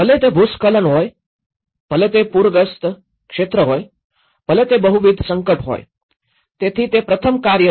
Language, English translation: Gujarati, Whether it is a landslide, whether it is a flood prone area, whether it is a multiple hazard prone, so that is first task